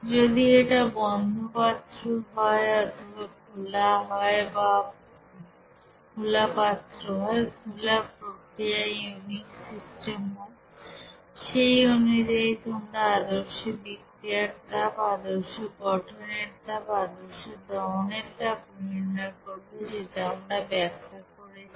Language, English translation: Bengali, If it is suppose closed vessel or if it is open condition or open vessel system, open process unit system there accordingly how to calculate that standard heat of reaction, standard heat of you know formation, standard heat of you know combustion, that we have described